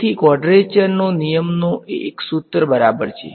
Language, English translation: Gujarati, So, quadrature rule means a formula ok